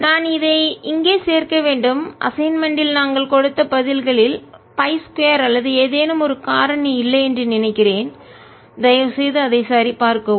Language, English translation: Tamil, i must add here that i think the answers that we have given in the assignment are missing a factor of pi square or something